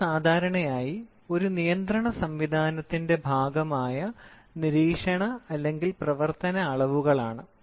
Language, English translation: Malayalam, So, these are monitoring or operational measurements which are usually a part of a control system